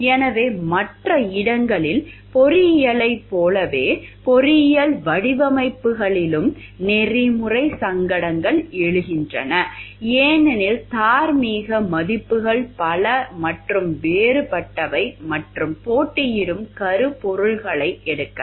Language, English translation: Tamil, So, like elsewhere engineering, in engineering designs also ethical dilemmas arise because, moral values are many and varied and may take competing themes